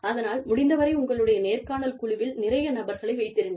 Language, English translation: Tamil, So, as far as possible, have several people on your interview panel